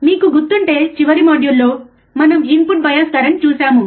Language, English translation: Telugu, iIf you remember, we have in the last module we have seen input bias current